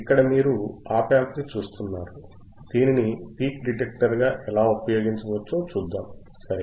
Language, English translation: Telugu, Here you will look at the op amp, how it can be use is a peak detector ok